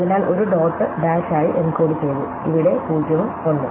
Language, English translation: Malayalam, So, a is encoded as dot dash, where 0 and 1